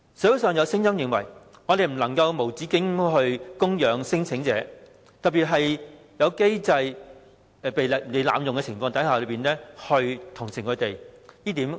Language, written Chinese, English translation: Cantonese, 社會認為我們不能無止境供養聲請者，不應該在機制被濫用的情況下同情他們。, Society is against providing the claimants with endless support and extending sympathy to them when the mechanism is being abused